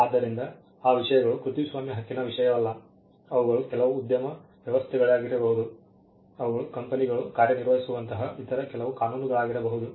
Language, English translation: Kannada, So, those things are it is not subject matter of copy right, they maybe some industry arrangement they may be some other statutes like the companies act, by which you can register company names